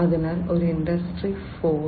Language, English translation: Malayalam, So, in Industry 4